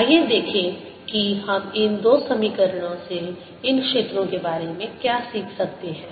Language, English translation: Hindi, let us see what we can learn about these fields from these two equations